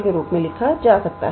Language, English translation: Hindi, So, I can write it as 1